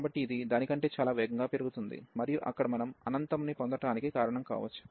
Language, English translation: Telugu, So, this is taking its growing much faster than this one and that is the reason we are getting infinity there